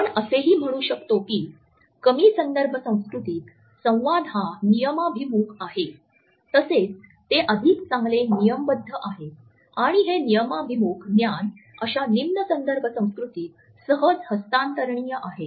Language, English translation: Marathi, We can also say that communication in low context culture is rule oriented, it is also better codified and since it is better codified and rule oriented knowledge can be easily transferable in such low context culture